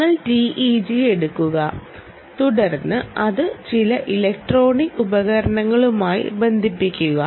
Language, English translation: Malayalam, you take the teg, ok, and then you connect it to some piece of electronics